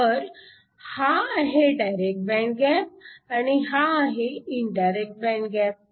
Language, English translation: Marathi, So, this is a direct band gap, this is an indirect band gap